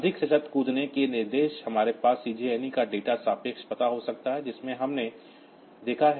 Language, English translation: Hindi, More conditional jump instructions we can have CJNE a data relative address, so that we have seen